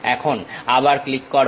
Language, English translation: Bengali, Now, click again